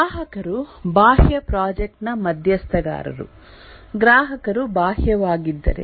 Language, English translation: Kannada, The external project stakeholders are the customers if the customers are external